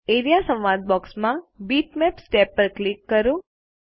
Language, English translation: Gujarati, In the Area dialog box, click the Bitmaps tab